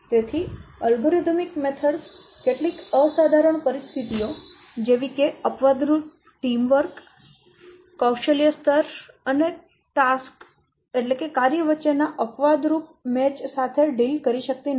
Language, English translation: Gujarati, So, algorithm methods, they can deal with some exceptional conditions such as exceptional team war, exceptional match between skip levels and tax etc